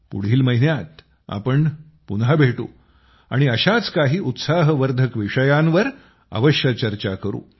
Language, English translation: Marathi, We will meet again next month and will definitely talk about many more such encouraging topics